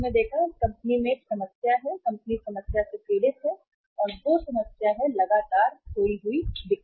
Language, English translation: Hindi, Problem in this company is that this company is suffering from the problem of continuously lost sales